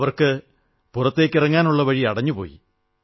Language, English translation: Malayalam, Their exit was completely blocked